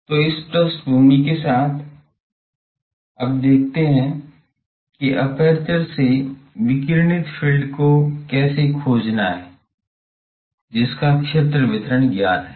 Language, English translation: Hindi, So with this background, now, let us see the how to find the radiated field from an aperture whose field distribution is known